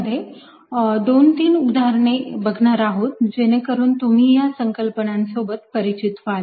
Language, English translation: Marathi, in this lecture we are going to look at two or three examples so that you get familiar with these concepts